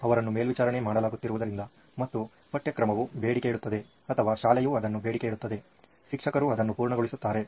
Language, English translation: Kannada, Because she is being monitored and the curriculum demands or the school demands that, the teacher completes it